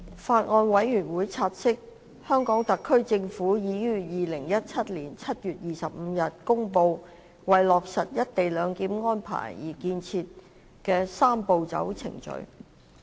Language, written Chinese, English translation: Cantonese, 法案委員會察悉，香港特別行政區政府已於2017年7月25日公布為落實"一地兩檢"安排而建議的"三步走"程序。, The Bills Committee notes that the Government of the Hong Kong Special Administrative Region HKSAR made an announcement on the proposed Three - step Process to put in place the co - location arrangement on 25 July 2017